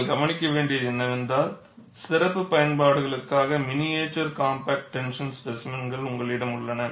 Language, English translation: Tamil, And what you will have to note is, you also have miniature compact tension specimens, reported for special applications